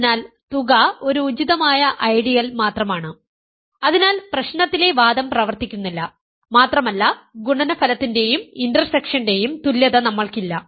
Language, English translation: Malayalam, So, the sum is only a proper ideal and hence the argument in the problem does not work and we do not have the equality of the product and intersection